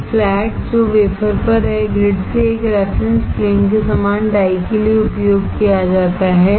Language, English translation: Hindi, A flat on the wafer is used as a reference plane from the grid for the die